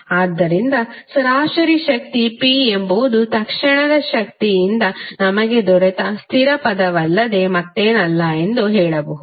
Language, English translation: Kannada, So we can say that the average power P is nothing but the constant term which we have got from the instantaneous power